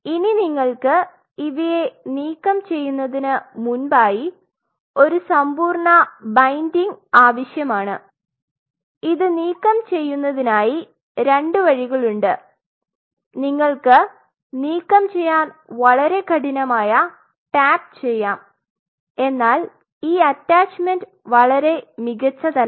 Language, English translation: Malayalam, And then what you do then you need to have a computed by you have to remove this how it there are two ways you can remove you can tap it very hard we tap it then this attachment is not very prominent